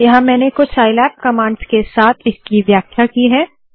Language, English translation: Hindi, Here I have illustrated it with some SciLab commands